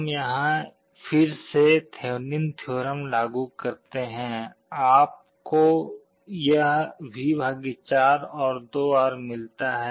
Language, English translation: Hindi, We apply Thevenin’s theorem here again, you get this V / 4 and 2R